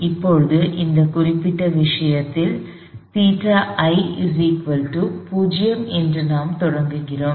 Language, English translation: Tamil, Now, in this particular problem, we are starting out with theta I being a 0